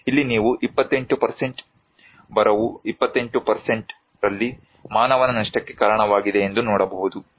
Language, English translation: Kannada, Here you can see that 28%, drought is the reason of human loss in 28%